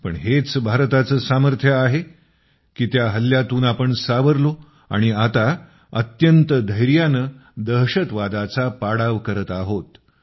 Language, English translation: Marathi, But it is India's fortitude that made us surmount the ordeal; we are now quelling terror with full ardor